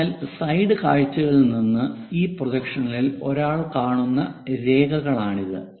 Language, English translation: Malayalam, So, these are the lines what one will see in this projection from the side views